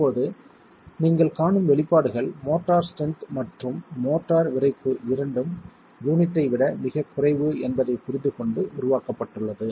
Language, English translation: Tamil, The expressions that you will see now are developed with the understanding that both the strength of the motor and the stiffness of the motor is far lesser than the unit itself